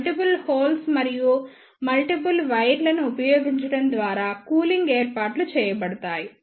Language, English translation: Telugu, The cooling arrangements are made by using these multiple holes and the multiple number of wires